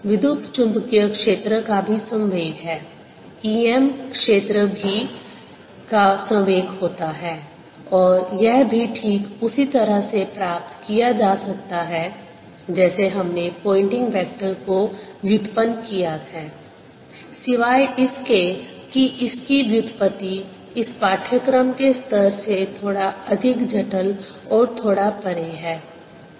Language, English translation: Hindi, introduce now, electromagnetic field also carries momentum, e, m filed also carries momentum, and this can also be derived exactly in the same manner as we derived the pointing vector, except that the derivation is a little more complicated and slightly beyond the level of this course